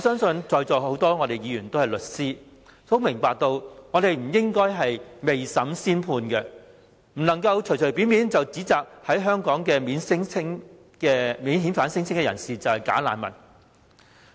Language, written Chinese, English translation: Cantonese, 在座多位議員是律師，他們應該明白不應該未審先判，把在香港提出免遣返聲請的人士說成是"假難民"。, Many Members here in the Chamber are lawyers . They should know that no judgment should be passed before a trial . The non - refoulement claimants should not be referred to as bogus refugees